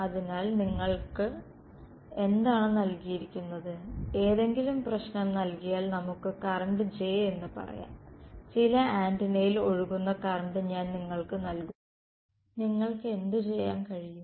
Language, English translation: Malayalam, So, what is given to you is if any problem is given let us say the current J, I give you the current that is flowing in some antenna what can you do